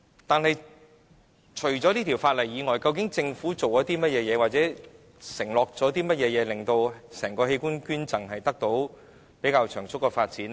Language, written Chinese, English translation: Cantonese, 但是，除本《條例草案》外，究竟政府做過或承諾過甚麼，可令整體器官捐贈可獲較長足的發展呢？, However apart from the Bill what has Government done or undertaken for the substantial development of organ donation as a whole?